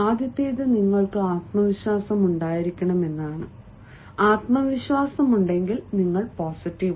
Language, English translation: Malayalam, the first is you have to be confident, and once you be, confident means you are positive